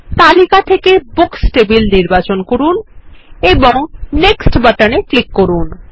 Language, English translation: Bengali, We will choose the Books table from the list and click on the Next button